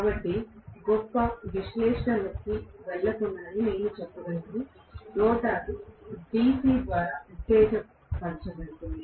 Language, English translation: Telugu, So, what I can say even without really going into great analysis, the rotor can be excited by DC